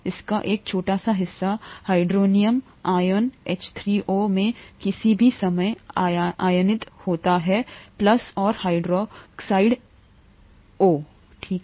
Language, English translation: Hindi, A small part of it is ionised at any time into hydronium ions, H3O plus, and hydroxide OH minus, okay